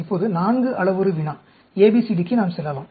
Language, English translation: Tamil, Now, let us go to, the 4 parameter problem, ABCD